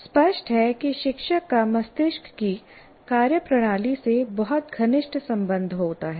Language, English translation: Hindi, So obviously, teacher has very, very close relationship with the functioning of the brain